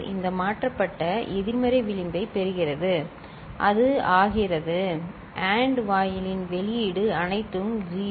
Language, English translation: Tamil, It is getting shifted negative edge so, it is becoming, what is the output for the AND gate all 0 right